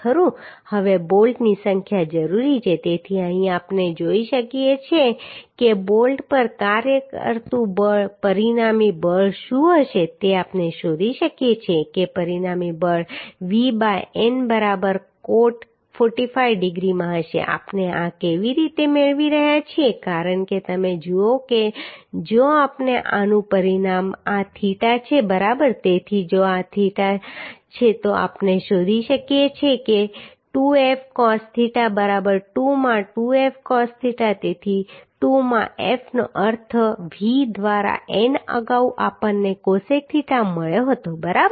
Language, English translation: Gujarati, 294 kilonewton right Now number of bolts required so here we can see that what will be the force resultant force acting on the bolt that will be we can find out the resulting force will be V by N right into cot 45 degree how we are getting this because you see if we result this this is theta right so if this is theta then we can find out 2F cos theta is equal to 2 into sorry 2F cos theta so 2 into F means V by N earlier we got cosec theta right So the resultant force R will become in this bolt will be F cos theta plus F cos theta right so both will act acting in together vertically F cos theta and F cos theta so 2F cos theta again F is equal to V by N cosec theta so 2 into V by N cosec theta into cos theta So this will become 2 into V by N cot theta right 2 into V by N cot theta So we can find out the resultant force as R is equal to 2 into V by N cot 45 degree therefore therefore this value will become 2 into 12